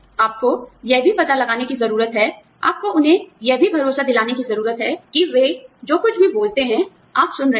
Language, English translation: Hindi, You also need to find out, you know, you need to convince them, that you are listening to, what they have to say